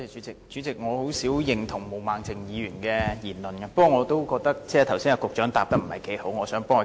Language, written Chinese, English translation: Cantonese, 主席，我很少認同毛孟靜議員的言論，但我也覺得局長剛才沒有好好作答。, President I seldom agree with Ms Claudia MOs comments but I also think that the Secretary has not answered properly